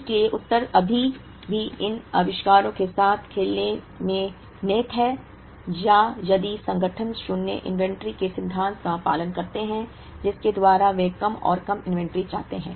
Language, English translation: Hindi, So, the answer still lies in playing around with these inventories, or if organizations follow the principle of zero inventory, by which they want to have lesser and lesser inventory